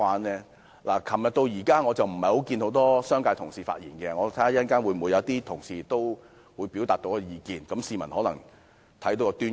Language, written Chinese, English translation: Cantonese, 昨天至今，沒有很多商界同事發言，如果稍後有商界同事表達意見，市民或許能從中看出端倪。, Since yesterday not many fellow colleagues from the business sector have spoken . If later these colleagues speak members of the public may get some clues